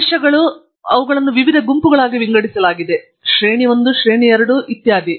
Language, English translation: Kannada, They are categorized into various groups: tier 1, tier 2, tier 3, etcetera